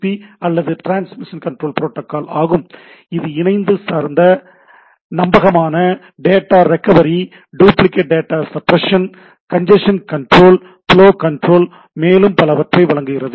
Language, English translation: Tamil, The predominant protocol is TCP or transmission control protocol which provides connection orientated reliable data recovery, duplicate data suppression, congestion control, flow control and so on so forth